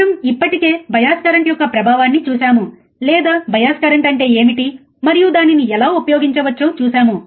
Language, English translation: Telugu, Now we have already seen the effect of bias current, or what is the bias current and how it can be used right